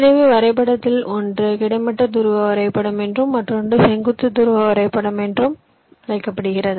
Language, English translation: Tamil, so one of the graph is called horizontal polar graph, other is called vertical polar graph